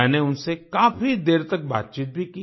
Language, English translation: Hindi, I also talked to them for a long time